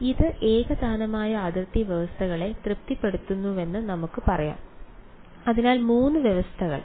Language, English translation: Malayalam, So, it we can say that it satisfies homogeneous boundary conditions ok, so three conditions